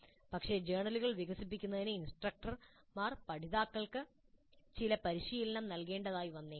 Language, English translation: Malayalam, But instructors may have to provide some training to the learners in developing journals